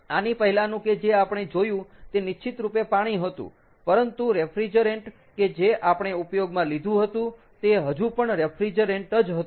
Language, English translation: Gujarati, ok, the previous one, ah, that we saw was definitely it was water, but the refrigerant that was used was still a refrigerant